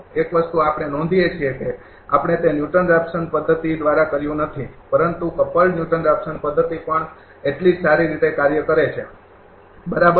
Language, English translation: Gujarati, We have noticed that, you have not we have not done it through Newton Raphson method, but couple Newton Raphson method also works equally OL, right